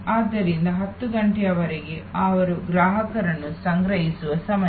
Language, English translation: Kannada, So, up to 10'o clock is a time when they will gather customer's and store them